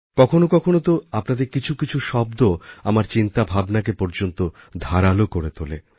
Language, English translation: Bengali, There are times when some of your words act as a catalyst in sharpening my thought process